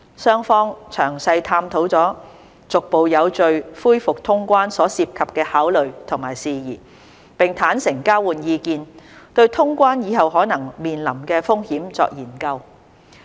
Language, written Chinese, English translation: Cantonese, 雙方詳細探討了逐步有序恢復通關所涉及的考慮和事宜，並坦誠交換意見，對通關以後可能面臨的風險作研究。, The two sides explored in detail matters and factors of consideration relating to the resumption of quarantine - free travel in a gradual and orderly manner and candidly exchanged views on and examined the possible risks after resumption of quarantine - free travel